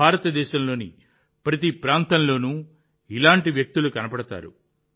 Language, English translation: Telugu, You will find such people in every part of India